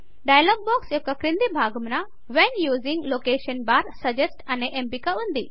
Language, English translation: Telugu, At the very bottom of the dialog box, is an option named When using location bar, suggest